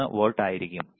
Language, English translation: Malayalam, 63 volts per microseconds